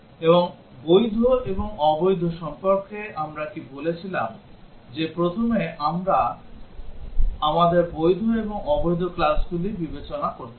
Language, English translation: Bengali, And what about the valid and invalid we said that first we have to consider the valid and invalid classes